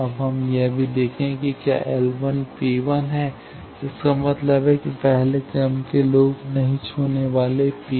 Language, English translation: Hindi, Now let us also see whether L 1 is P 1; that means, first order loop non touching P 1